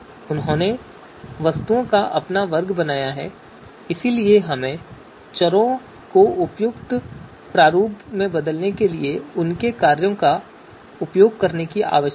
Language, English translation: Hindi, So they have created their own class of objects so therefore we need to use their functions to change you know to convert you know you know variables in the appropriate format